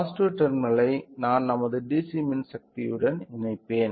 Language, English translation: Tamil, So, the positive terminal I will connect it to connect it to our DC power supply